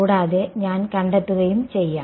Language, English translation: Malayalam, And I can find